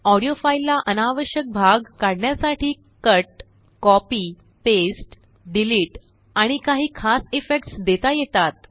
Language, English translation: Marathi, An audio file can be cut to remove unwanted parts, copied, pasted, deleted and treated with some special effects